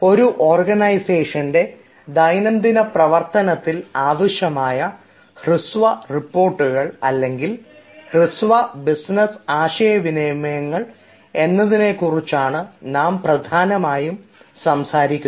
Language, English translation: Malayalam, today will be talking about this: short reports, or this short business communications that you come across everyday in your organization